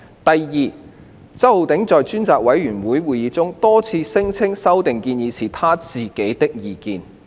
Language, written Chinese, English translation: Cantonese, 第二，周議員在專責委員會會議上，多次聲稱有關的修訂建議是他自己的意見。, Secondly Mr CHOW repeatedly claimed at the meeting of the Select Committee that the proposed amendments were his own opinions